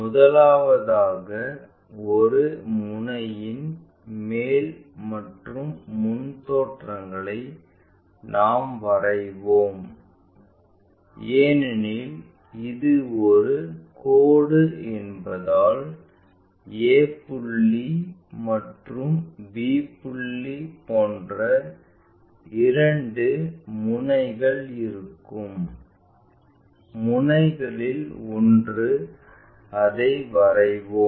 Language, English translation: Tamil, First of all we will draw the top and front views of one of the ends because it is a line there will be two ends like a point and b point and one of the ends we will draw it